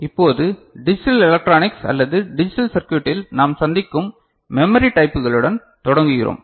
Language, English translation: Tamil, Moving on, we begin with the types of memory that we encounter in digital electronics or digital circuits